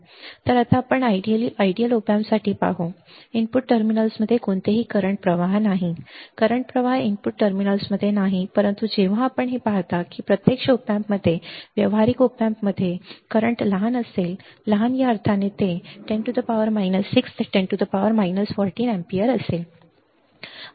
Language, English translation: Marathi, So, now, let us see for ideal op amp, no current flows into input terminals right no current flows input terminals, but when you see that in actual op amp, in practical op amp, the current would be small small in the sense that there is no current is or correct it will be 10 raise to minus 6 to 10 raise to minus 14 ampere